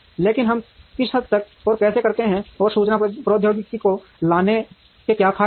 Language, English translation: Hindi, But, to what extent and how do we do that and what are the advantages of having information technology brought in